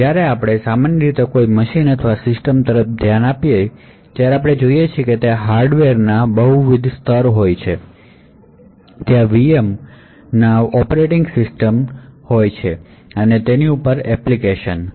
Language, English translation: Gujarati, When we actually normally look at a machine or a system, we see that there are a multiple layer of hardware, there are VM’s, operating systems and above that the application